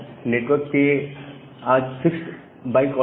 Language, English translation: Hindi, Now, network is a has a fixed byte order